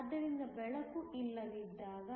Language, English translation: Kannada, So, when there is No light